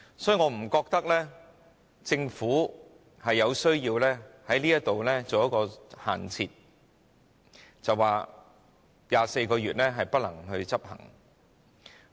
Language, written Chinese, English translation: Cantonese, 所以，我不覺得政府有需要在這方面設限，說24個月的建議不能夠執行。, Therefore I do not think that the Government should set a limit for this and argue against the feasibility of the proposal for 24 months